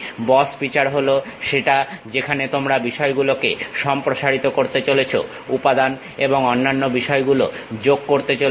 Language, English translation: Bengali, Boss feature is the one where you are going to extend the things add material and other things